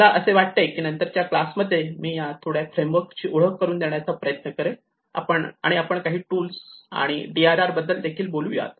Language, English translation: Marathi, I think these are a few frameworks I just tried to introduce and in the coming class we will also talk about a few tools and DRR